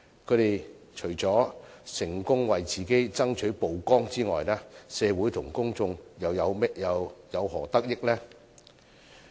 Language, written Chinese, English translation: Cantonese, 他們除了成功為自己爭取曝光外，社會和公眾又有何得益呢？, Apart from successfully gaining the spotlight for themselves what good have they done to society and people?